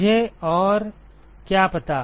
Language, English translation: Hindi, What else do I know